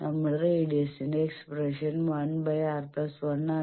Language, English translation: Malayalam, You see our expression that radius is 1 by R bar plus 1